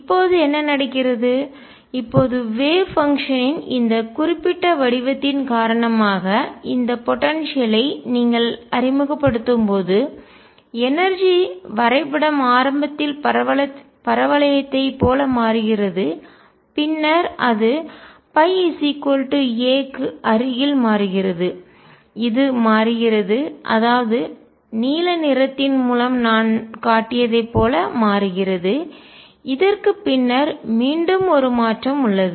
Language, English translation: Tamil, Now what happens now when you introduce this potential because of this particular form of the wave function, the energy diagram becomes like the parabola initially and then it changes near pi equals a it changes and becomes like what I have shown through blue colour, and after this again there is a change